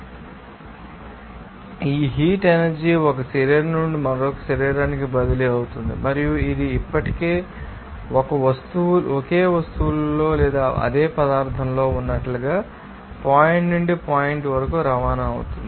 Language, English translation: Telugu, So, this heat energy is transferring from one body to another body and it can be also transport from point to point like in a same object already or in the same material